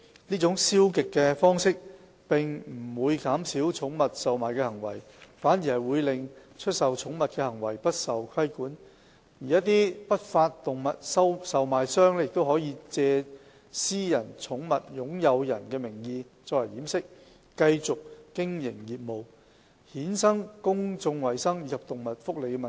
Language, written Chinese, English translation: Cantonese, 這種消極的方式，並不會減少寵物售賣的行為，反而會令出售寵物的行為不受規管，而一些不法動物售賣商亦可藉私人寵物擁有人的名義作為掩飾，繼續經營業務，衍生公眾衞生及動物福利的問題。, Such a passive approach would not reduce pet trading but would allow the sale of pets to go unregulated with some unscrupulous animal traders being able to continue operating under the disguise of private pet owners causing public health and animal welfare problems